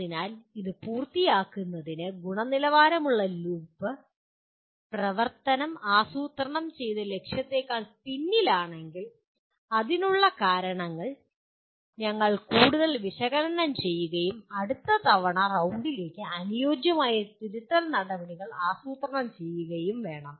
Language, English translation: Malayalam, So quality loop again to complete this, action, if the attainment lags behind the planned target, we need to further analyze the reasons for the same and plan suitable corrective actions for the next time round